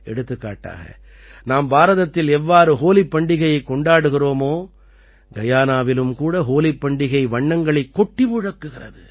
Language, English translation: Tamil, For example, as we celebrate Holi in India, in Guyana also the colors of Holi come alive with zest